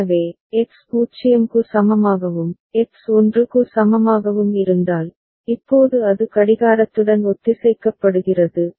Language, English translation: Tamil, So, if X is equal to 0 and if X is equal to 1, now it is synchronized with the clock